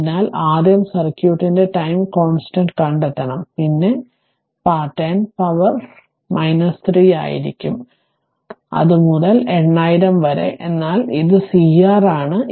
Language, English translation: Malayalam, So, first you have to find out the time constant of the circuit, it will be then 10 to the power minus 3 into your 8000 right, so it is C R